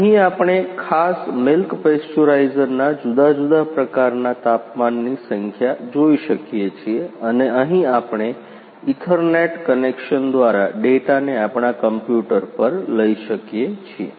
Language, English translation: Gujarati, Here we can see the numbers of different type of temperatures of particular milk pasteurisers we can see and from here we can take the data to our to our computers by ethernet connections